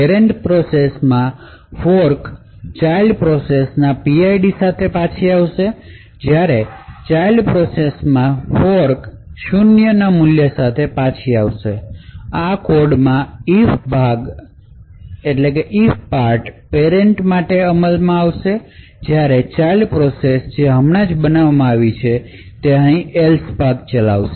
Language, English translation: Gujarati, In the parent process the fork will return with the PID of the child process, while in the child process the fork would return with 0 value of 0, so thus in these codes limit the parent process would execute over here in the if part, while the child process which has just been created would execute over here in the “else” apart